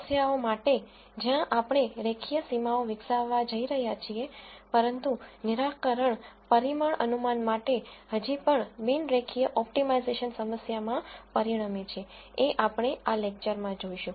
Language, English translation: Gujarati, For problems, where we are going to develop linear boundaries the solution still results in a non linear optimization problem for parameter estimation, as we will see in this lecture